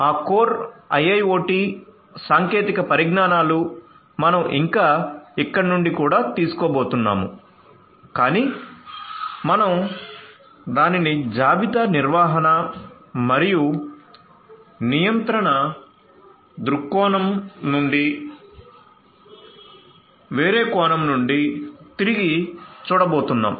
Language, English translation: Telugu, Those core IIoT technologies we are still going to borrow over here as well, but we are going to reposition it relook at it from the different angle from an inventory management and control viewpoint